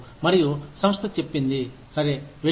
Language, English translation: Telugu, And, the organization says, okay, go